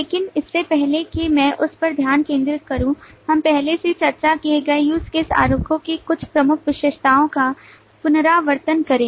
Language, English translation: Hindi, But before I get into that, let me also recapitulate some of the major features of the use case diagrams that we have already discussed